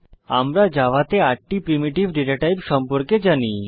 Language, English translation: Bengali, We know about the 8 primitive data types in Java